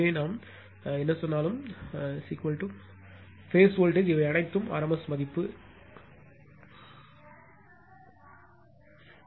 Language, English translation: Tamil, So, whatever we say V p is the phase voltage these are all rms value right, everything is rms value